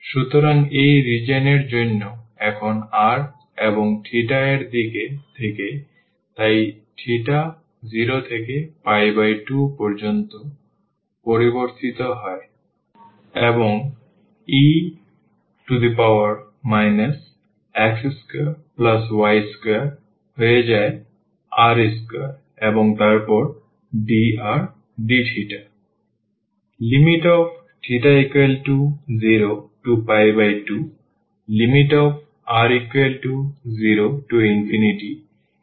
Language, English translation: Bengali, So, for this region here now in terms of the r and in terms of the theta, so the theta varies from 0 to pi by 2, and r varies from 0 to infinity and e power minus this x square plus y square will become r square and then dr d theta